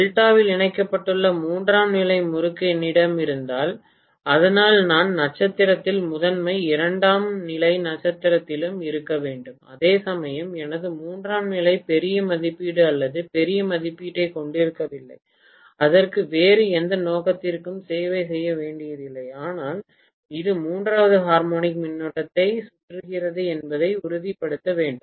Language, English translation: Tamil, If I have a tertiary winding which is connected in delta, so I can have primary in star, secondary also in star whereas my tertiary which is probably not of great rating or larger rating, it doesn’t have to serve any other purpose but, it has to essentially make sure that it circulates the third harmonic current